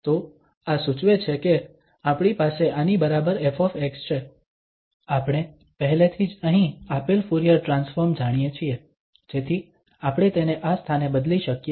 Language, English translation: Gujarati, So, this implies that we have f x equal to, we know already the Fourier transform which is given here so we can substitute that in this place